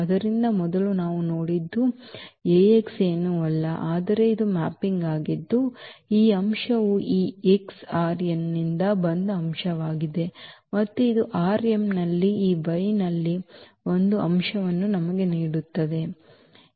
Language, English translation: Kannada, So, first what we have seen that this Ax is nothing but it is a mapping now the element this x which was from R n and it is giving us an element in this y in this R m